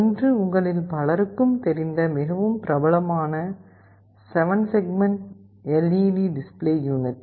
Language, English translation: Tamil, One is the very familiar 7 segment LED display unit that many of you know of